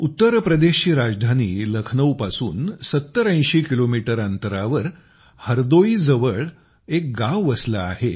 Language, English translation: Marathi, Bansa is a village in Hardoi, 7080 kilometres away from Lucknow, the capital of UP